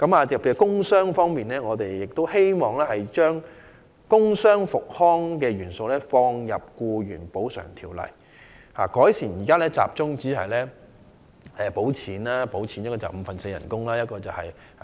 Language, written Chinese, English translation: Cantonese, 在工傷方面，我們希望把工傷復康元素納入《條例》，並改善現行只獲發五分之四工資及最高300元醫療費的安排。, When it comes to work injuries we wish to include the element of work injury rehabilitation into the Ordinance and refine the existing wage payment at only four - fifths of the daily wages and the disbursement of a maximum of 300 as medical fees